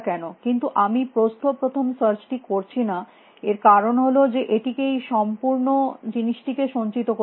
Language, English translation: Bengali, But the reason we are not doing breadth first search is because, it needs to store this entire